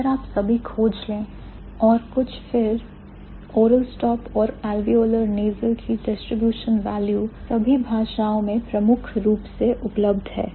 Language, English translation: Hindi, So, if you find out all and sum, then the distributional value of oral stop and alveolar nasal is primarily, it is available in all the languages